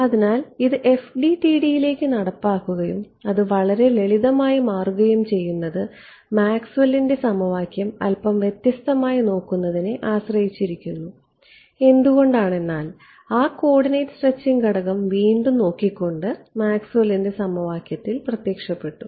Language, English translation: Malayalam, So, implementing it into FDTD and turns out its actually very simple just depends on us looking at Maxwell’s equation a little bit differently; why because that coordinate stretching parameter it appeared in Maxwell’s equation just by relooking right